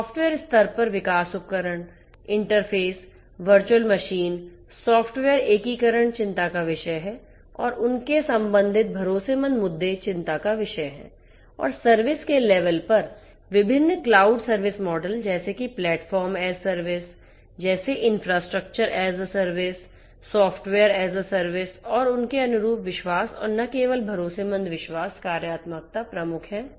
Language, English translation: Hindi, At the software level development tools, interfaces, virtual machines, software integration are of concerned and their corresponding trust issues are of concern and at the services level different cloud service models for example like the platform is the service, infrastructure as a service and software service and their corresponding trust and that not only trustworthy, trust functionalities are of prime concerned